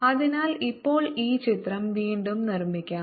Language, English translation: Malayalam, so let's now make this picture again